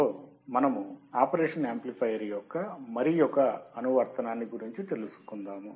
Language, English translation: Telugu, And in this lecture, we will see another application of operational amplifier